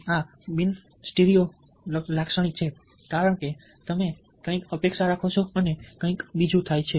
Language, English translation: Gujarati, these are non stereo, typical, because you expect something and something else happens